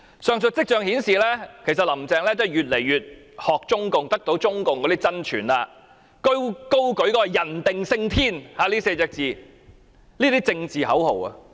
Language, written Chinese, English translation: Cantonese, 上述跡象顯示，林鄭月娥越來越傾向學習中共，並得到中共真傳，高舉"人定勝天 "4 個字的政治口號。, The above signs indicate that Carrie LAM is becoming more and more inclined to learn from the Communist Party of China and has learnt its essence of upholding the political slogan of man will conquer nature